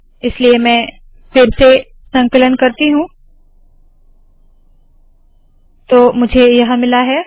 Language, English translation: Hindi, So let me re compile it, so now I have got this